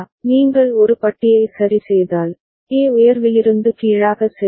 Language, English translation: Tamil, If you plot A bar alongside ok, A is going from high to low